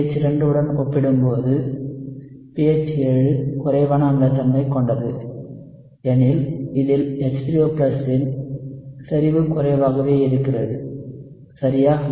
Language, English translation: Tamil, pH 7 is less acidic, right compared to pH 2 I mean, has a lower concentration of H3O+ right compared to pH 2